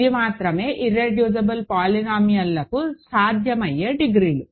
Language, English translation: Telugu, These are the only possible degrees for irreducible polynomials